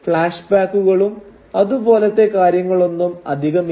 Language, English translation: Malayalam, There aren’t many flashbacks or things like that